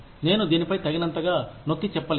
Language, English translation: Telugu, I cannot emphasize on this enough